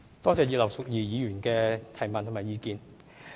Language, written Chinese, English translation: Cantonese, 多謝葉劉淑儀議員的補充質詢和意見。, I thank Mrs Regina IP for her supplementary question and views